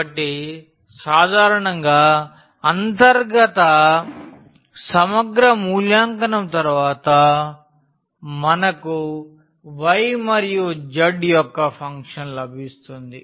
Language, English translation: Telugu, So, in general the after evaluation of the inner integral we will get a function of y and z